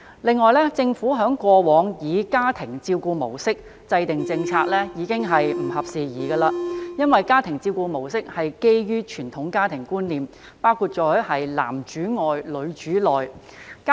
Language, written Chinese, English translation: Cantonese, 此外，政府過往以家庭照顧模式制訂政策已不合時宜，因為家庭照顧模式建基於傳統家庭觀念，包括"男主外，女主內"的觀念。, Moreover the Governments past approach of using the family caregiver model as the basis of policy formulation is outdated because this model is based on traditional family concepts including men being breadwinners and women being homemakers